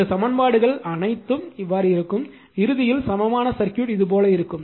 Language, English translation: Tamil, All these equations will be like this and your and ultimately your equivalent circuit will be like this right